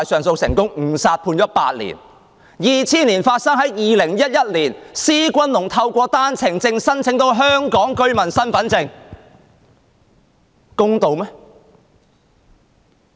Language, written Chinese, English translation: Cantonese, 事件在2000年發生，但在2011年，施君龍透過單程證申請得到香港居民身份證，這公道嗎？, This incident happened in 2000 but in 2011 SHI Junlong obtained a Hong Kong Identity Card through his OWP application . Is that fair?